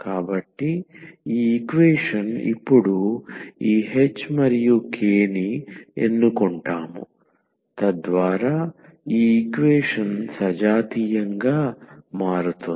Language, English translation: Telugu, So, these equation we will choose now this h and k so that this equation becomes homogeneous